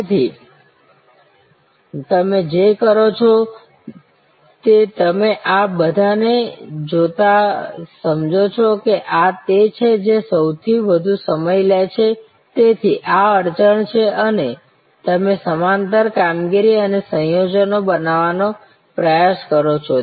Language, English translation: Gujarati, So, what you do is you look at all these understand that this is the one which is taking longest time therefore, this is the bottle neck and you try to create parallel operations and combinations